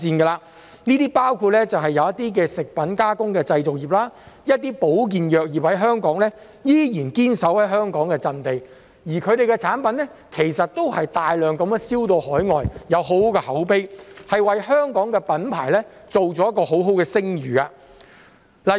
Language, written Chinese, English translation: Cantonese, 當中包括食品加工製造業，一些香港的保健藥業，它們依然堅守在香港的陣地，而它們的產品其實都是大量外銷到海外，有很好的口碑，為香港的品牌建立一個很好的聲譽。, These include the food processing and manufacturing industries and some of Hong Kongs health - related pharmaceutical industry which still hold fast to their position in Hong Kong . In fact their products are exported overseas in large quantities with positive word of mouth building good reputation for the Hong Kong brand